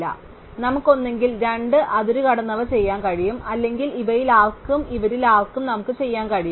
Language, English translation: Malayalam, So, we can either do the two extreme ones or we can do anyone of these and anyone of these